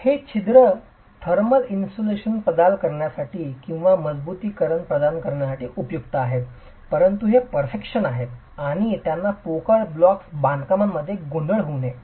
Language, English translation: Marathi, These perforations are useful either for providing thermal insulation or for providing reinforcements but these are perforations and they should not be confused with hollow block constructions